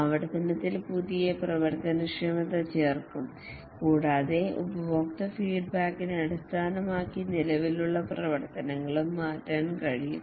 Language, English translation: Malayalam, In iteration, new functionalities will be added and also the existing functionalities can change based on the user feedback